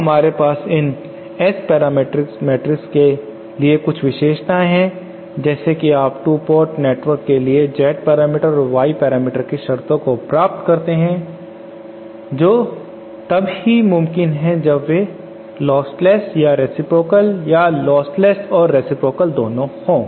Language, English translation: Hindi, Now we have certain special properties for these S parameters matrices just like you derive the conditions the 2 port for the Z parameters and the Y parameters that is under when they are lostless or reciprocal or both lostless and reciprocal